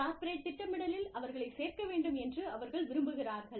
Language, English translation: Tamil, They want the corporate planning, to include them